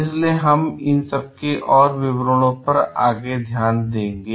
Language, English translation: Hindi, So, we will look into further details of it